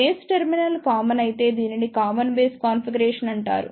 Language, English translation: Telugu, If the base terminal is made common, then this is called as Common Base configuration